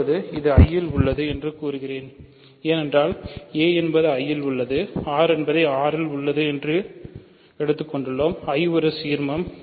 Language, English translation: Tamil, Now, I claim this is in I because a is in I, r is in R capital I is an ideal